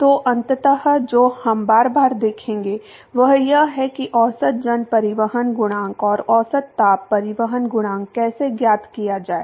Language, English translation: Hindi, So, ultimately what we will see over and over again many number of times is how to find average mass transport coefficient and average heat transport coefficient